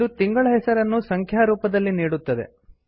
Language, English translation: Kannada, It gives the month of the year in numerical format